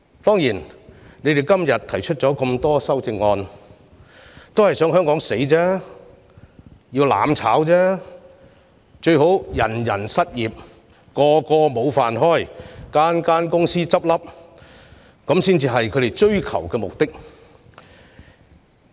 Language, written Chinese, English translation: Cantonese, 他們今天提出大量修正案的目的是想香港"死"、要"攬炒"，最好是人人失業，無法糊口，大量公司倒閉，才是他們追求的目的。, Today they have proposed a large number of amendments to make Hong Kong perish and effect mutual destruction . What they want to see is people rendered jobless and unable to make ends meet as businesses close down one after another